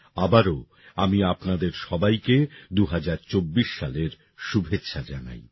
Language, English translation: Bengali, Once again, I wish you all a very happy 2024